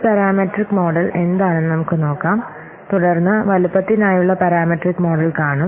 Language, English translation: Malayalam, So let's see what is a parameter model and then we'll see the parameter model for size